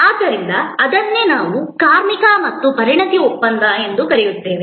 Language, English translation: Kannada, So, that is what we called labor and expertise contract